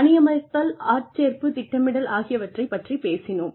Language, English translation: Tamil, We have talked about hiring, recruiting, planning